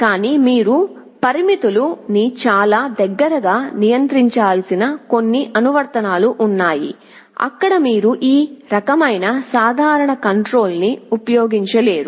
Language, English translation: Telugu, But, there are some applications where you need to control the parameter very closely, there you cannot use this kind of a simple controller